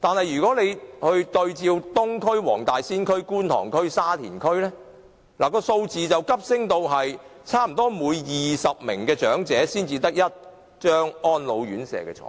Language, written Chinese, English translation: Cantonese, 如果對照東區、黃大仙區、觀塘區、沙田區，數字便會急升至差不多每20名長者才有1張安老院舍床位。, In North District Tai Po Sai Kung and Yuen Long there is 1 RCHE bed for every 10 elderly persons; when compared with Eastern District Wong Tai Sin Kwun Tong and Sha Tin the ratio has increased 1 RCHE bed for more than 20 elderly persons